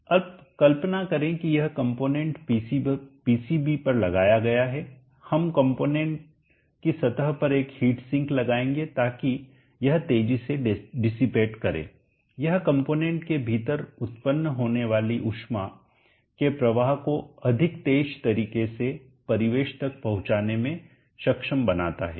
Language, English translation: Hindi, Now imagine this component is sitting on the PCB we will attach a heat sink to the surface of the component such that it dissipate more quickly it enables the heat flow that is generated within the component to reach the ambient in a much more quicker manner, so which means we would like to reduce the thermal resistance from the case to the ambient